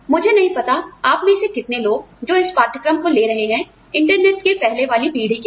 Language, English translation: Hindi, I do not know, how many of you are, who are taking this course, are from pre internet generation